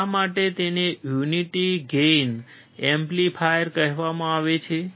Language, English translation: Gujarati, Why it is also called a unity gain amplifier